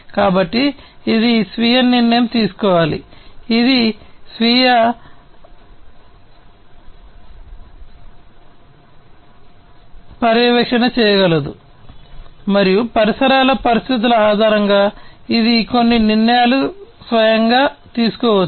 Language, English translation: Telugu, So, it has to self decide it can self monitor and based on the ambient conditions it can make certain decisions on it is on it is own